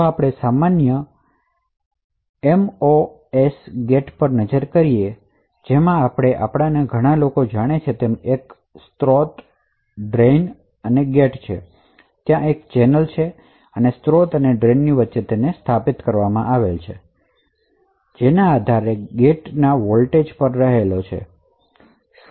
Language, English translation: Gujarati, So, if we look at a typical MOS gate as many of us know, So, it has a source, drain and gate and there is a channel and established between the source and drain depending on the voltage available at the gate